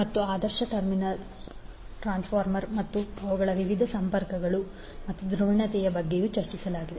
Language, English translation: Kannada, And also discussed about the ideal transformer and their various connections and the polarity